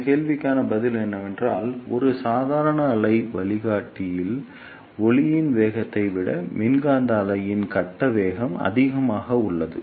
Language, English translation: Tamil, The answer to this question is that the phase velocity of electromagnetic wave is greater than velocity of light in a ordinary wave guide